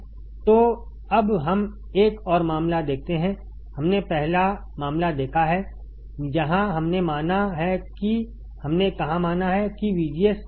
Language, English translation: Hindi, So, now, let us see another case, we have seen the first case right where we have considered where we have considered that VGS is greater than V T